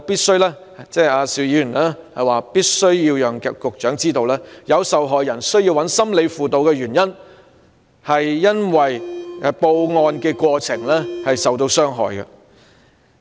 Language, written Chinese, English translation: Cantonese, 邵議員表示他必須讓局長知道，受害人需要尋求心理輔導的原因，是由於在報案過程中受到傷害。, Mr SHIU opines that the Secretary should understand that due to the impact of secondary victimization arising from the reporting process some sexual violence victims have to seek psychological counselling